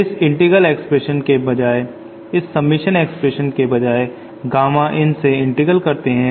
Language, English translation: Hindi, Instead of this integral expression, instead of this submission expression I have an integral from Gamma in